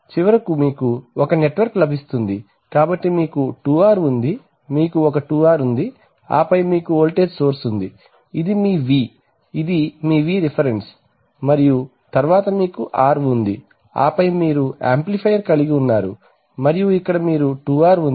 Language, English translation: Telugu, So finally what you get is a, finally you get this network, so you have a 2R you have one 2R and then you have a voltage source, so this is your V, this is your Vref and then you have an R and then you have an amplifier and here you have a 2R